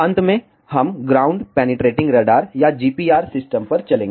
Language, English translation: Hindi, Lastly, we will move to the ground penetrating radar or GPR system